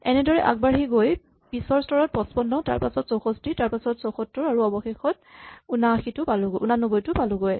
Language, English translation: Assamese, And then proceeding in this way at the next step we will pick up 55 and then 64 and then 74, and finally 89